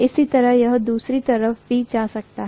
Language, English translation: Hindi, The same way, it can also go on the other side, right